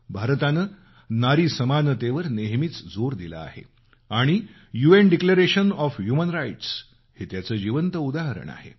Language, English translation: Marathi, India has always stressed on the importance of equality for women and the UN Declaration of Human Rights is a living example of this